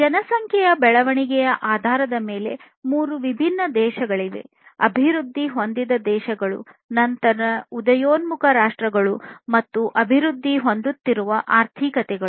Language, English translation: Kannada, There are three different types of countries based on the population growth, developed countries then emerging countries, emerging economies, basically, and developing economies